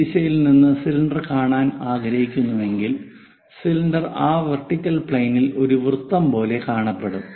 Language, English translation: Malayalam, If i is from this direction would like to see the cylinder, the cylinder looks like a circle on that vertical plane